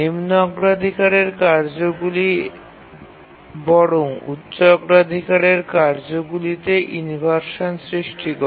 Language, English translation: Bengali, It is the low priority tasks which cause inversion to high priority task